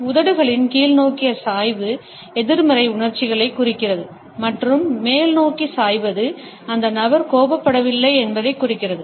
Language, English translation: Tamil, The downward slant of lips etcetera suggests negative emotions and the upward tilt suggests that the person is not angry